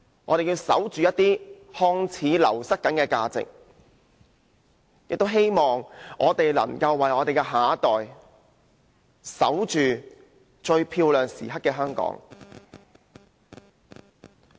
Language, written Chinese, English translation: Cantonese, 我們要守着一些看似正在流失的價值，亦希望為我們的下一代守着最漂亮時刻的香港。, We have to safeguard the values which seem to be withering and the most beautiful moments of Hong Kong for the next generation